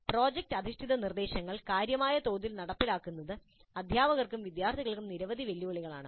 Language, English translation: Malayalam, Implementing project based instruction on a significant scale has many challenges, both for faculty and students